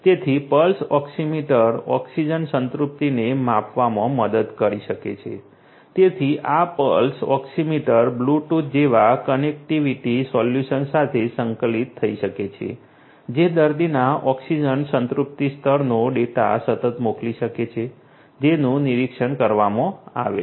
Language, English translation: Gujarati, So, Pulse Oxiometry can help in measuring the oxygen saturation and you know so this Pulse Oxiometry could be integrated with connectivity solutions such as Bluetooth which can send continuously the data of the oxygen saturation level of the patient who is being monitored